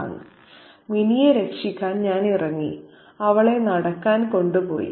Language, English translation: Malayalam, I stepped in to rescue Minnie and took her out for a walk